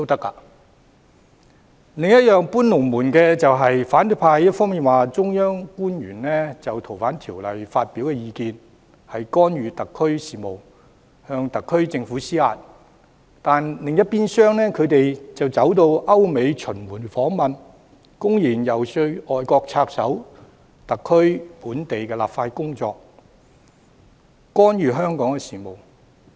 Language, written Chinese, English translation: Cantonese, 反對派"搬龍門"的另一點是一方面指中央官員就《逃犯條例》發表意見是干預特區事務，向特區政府施壓，但另一邊廂，他們卻到歐美巡迴訪問，公然遊說外國插手特區的本地立法工作，干預香港事務。, Another point showing that the opposition camp have moved the goalposts is that while terming the opinion about the Fugitive Offenders Ordinance FOO expressed by officials of the Central Government as interfering in the affairs of SAR and pressurizing the SAR Government on the one hand they have on the other gone on a tour of visits to Europe and the United States openly lobbying for foreign intervention in SARs local legislative exercise and interference in Hong Kongs affairs